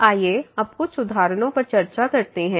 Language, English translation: Hindi, Let us go to some examples now